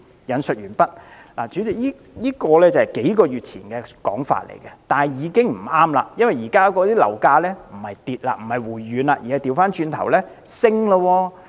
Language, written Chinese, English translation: Cantonese, "代理主席，這是數個月前的說法，現在已經不再適用了，因為現時樓價並沒有下跌、回軟，反而開始向上升。, unquote Deputy President this description was written a few months ago and is no longer applicable now . Property prices have not fallen . Instead they have started to rise